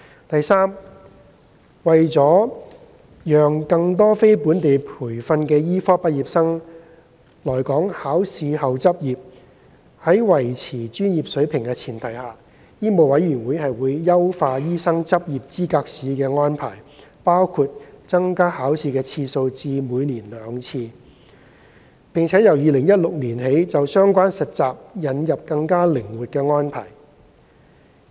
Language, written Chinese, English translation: Cantonese, 第三，為了讓更多非本地培訓的醫科畢業生來港考試後執業，並在維持專業水平的前提下，香港醫務委員會會優化醫生執業資格試的安排，包括增加考試次數至每年兩次，並由2016年起就相關實習引入更靈活的安排。, Thirdly to facilitate more non - locally trained medical graduates to practise in Hong Kong after passing the Licensing Examination LE the Medical Council of Hong Kong MCHK has on the premise of upholding professional standards enhanced the arrangements for LE including increasing the frequency of LE to twice a year and introducing more flexible arrangements for relevant internship requirement since 2016